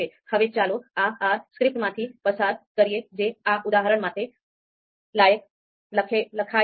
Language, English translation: Gujarati, So now let’s go through this R script that I have written for this particular exercise